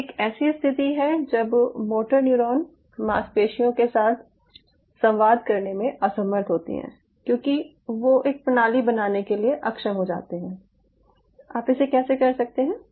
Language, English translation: Hindi, that is, a situation when martin neuron is unable to communicate with the muscle because they die out, to create a system, how you can do it